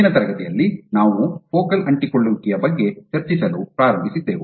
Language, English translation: Kannada, So, in the last class we started discussing about focal adhesions